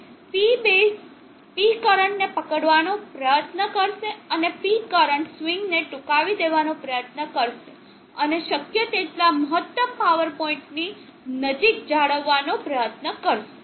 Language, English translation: Gujarati, So the P base will try to catch up with P current and try to narrow down the swing of the P current and try to maintain as close to the maximum power point as possible